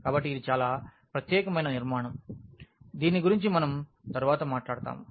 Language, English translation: Telugu, So, this a very very special structure we will be talking about more later